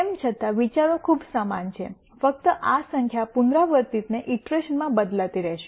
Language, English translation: Gujarati, Nonetheless, the ideas are pretty much the same only that this number will keep changing iteration to iteration